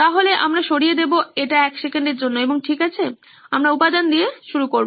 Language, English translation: Bengali, So, we will remove this for a second and okay, we will start with the element